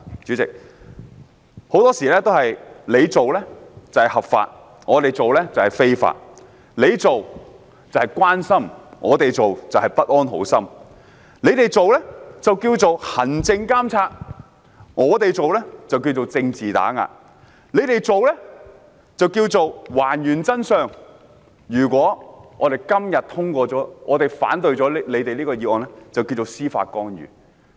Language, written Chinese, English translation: Cantonese, 主席，很多事情他們做是合法的，但我們做就是非法；他們做是關心，但我們做就是不安好心；他們做稱為行政監察，但我們做就是政治打壓；他們做是還原真相，但如果我們今天反對議案就是司法干預。, When they do something it is caring but when we do it we must have bad intentions . When they do something it is administrative supervision but when we do it it is political suppression . When they do something it is reconstructing the truth but if we oppose the motion today it is judicial interference